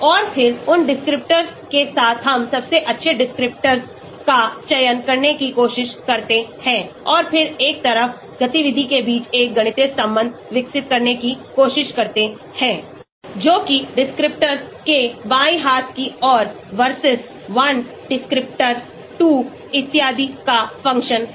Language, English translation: Hindi, And then with those descriptors, we try to select the best descriptors and then try to develop a mathematical relation between the activity on one side that is the left hand side versus the function of descriptors , 1 descriptor, 2, so on